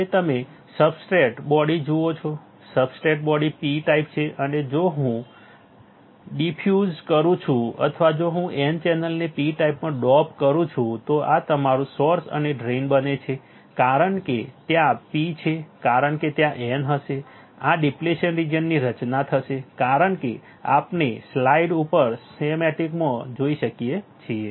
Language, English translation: Gujarati, Now, you see substrate body right substrate body is P type and if I diffuse or if I dope the n channel into the P type, then this becomes my source and drain and because there is a p because there is a n there will be creation of this depletion region, there will be creation of depletion region as we can see from the schematic on the slide